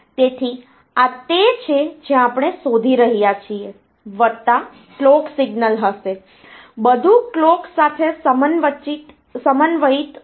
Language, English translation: Gujarati, So, this is what we are looking for plus the clock signal will be there, everything is synchronized with a clock